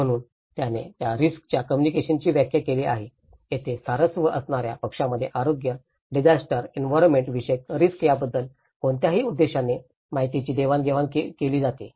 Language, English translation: Marathi, So, this is where he defines the risk communication is defined as any purposeful exchange of information about health, disaster, environmental risks between interested parties